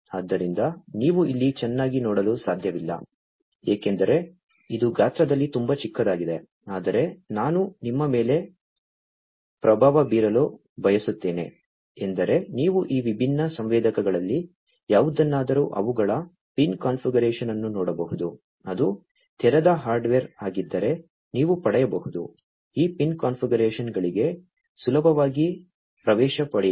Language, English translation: Kannada, So, you cannot see over here very well because it is very small in size, but you know so, what I would like to impress upon you is you can get any of these different sensors look at their pin configuration, you can, you know, if it is a open hardware you can get easily get access to these pin configurations